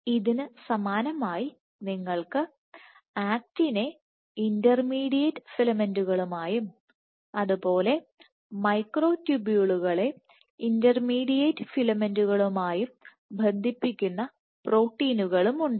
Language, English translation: Malayalam, Similarly you have proteins which link the actin to the intermediate filaments and the microtubules to the intermediate filaments